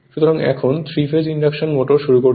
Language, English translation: Bengali, So, so 3 phase induction motor will start